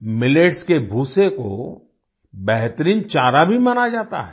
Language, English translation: Hindi, Millet hay is also considered the best fodder